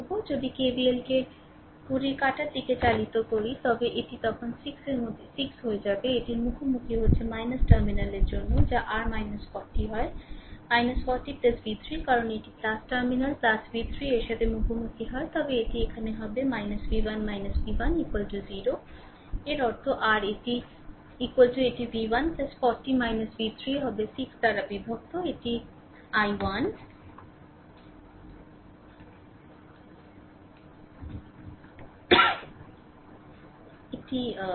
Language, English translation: Bengali, You apply KVL in the clockwise direction if you do so, then it will be 6 into i 6 into i then minus it is encountering minus for a terminal plus that is your minus 40 then minus 40right plus v 3, because it is encountering plus terminal plus v 3 then here it will be minus v 1 minus v 1 is equal to 0; that means, your I is equal to it will be v 1 plus 40 minus v 3 divided by 6 this is your i